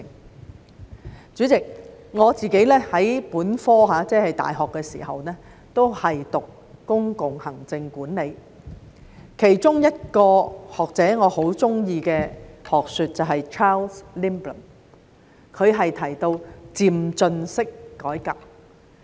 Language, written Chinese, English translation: Cantonese, 代理主席，我在大學時修讀的本科也是公共行政管理，我很喜歡其中一個學者的學說，也就是 Charles LINDBLOM 提到的漸進式改革。, Deputy President I studied public administration in university and I am very fond of the theory of a scholar namely the theory of incrementalism put forward by Charles LINDBLOM